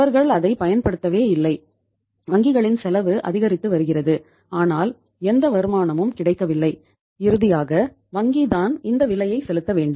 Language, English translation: Tamil, They have not used it at all and banks cost is increasing but there is no return available and finally bank has to pay the price